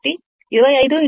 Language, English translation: Telugu, So, 25 into 2